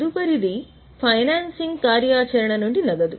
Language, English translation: Telugu, The next is financing activity